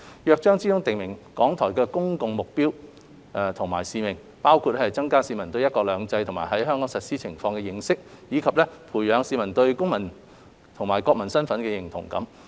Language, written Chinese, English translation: Cantonese, 《約章》中訂明港台的公共目的及使命，包括增加市民對"一國兩制"及其在香港實施情況的認識，以及培養市民對公民及國民身份的認同感。, The Charter has also specified RTHKs public purposes and mission including promoting the publics understanding of one country two systems and its implementation in Hong Kong and engendering a sense of citizenship and national identity